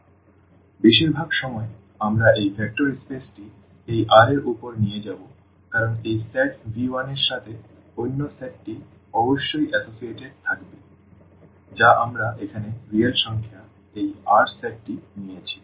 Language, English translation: Bengali, So, most of the time we will take this vector space over this R because with this set V 1 another set must be associated which we have taken here this R set of real numbers